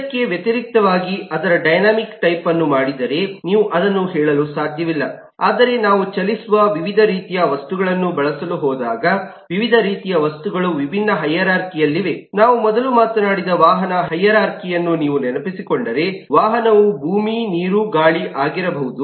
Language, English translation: Kannada, but when we are going to use eh, different kinds of objects moving around, different kinds of objects on different eh hierarchies, if you recall the vehicle hierarchy we talked of earlier, a vehicle could be land, water, air